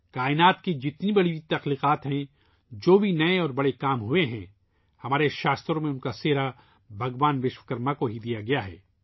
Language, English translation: Urdu, Whichever great creations are there, whatever new and big works have been done, our scriptures ascribe them to Bhagwan Vishwakarma